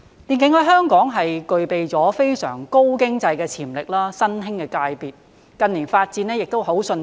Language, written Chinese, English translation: Cantonese, 電競在香港具備了非常高經濟的潛力，是新興的界別，近年的發展亦很迅速。, In Hong Kong e - sports is an emerging new sector with very rapid development in recent years with very high economic potential